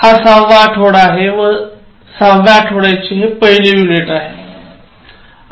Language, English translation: Marathi, This is the sixth week and the first unit of sixth week, and on the whole, this is lesson number 26